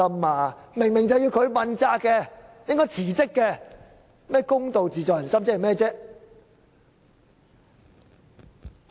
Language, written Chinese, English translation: Cantonese, 他分明要問責和辭職，卻說"公道自在人心"，這是甚麼意思？, Apparently he should have taken responsibility and stepped down; yet he told us that justice lied in the heart of everyone . What did he mean by that?